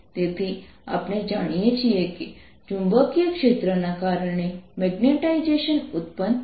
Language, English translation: Gujarati, so we know that magnetization is produced because of the magnetic field